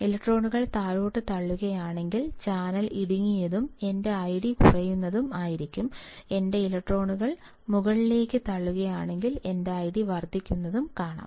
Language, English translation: Malayalam, If electrons are pushed down, the channel will be narrowed and my I D will be decreasing, if my electrons are pushed up I can see my I D increasing